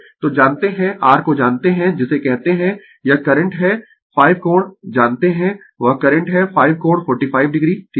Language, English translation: Hindi, So, you know the you know the your what you call this current is 5 angle you know that current is 5 angle 45 degree right